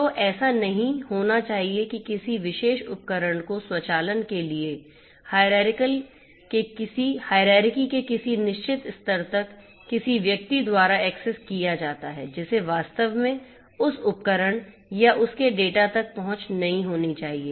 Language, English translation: Hindi, So, you know it should not happen that a particular device gets accessed by someone in the in certain level of the automation hierarchy who should not actually have access to that device or it’s data